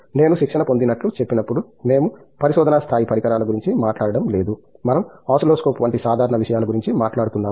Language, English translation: Telugu, When I say trained, it means like we are not talking about the research level equipment's we are talking about simple things like oscilloscopes, right